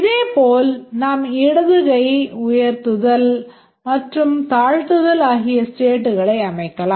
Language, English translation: Tamil, Similarly we can set the state to hand, left hand raised, left hand down and so on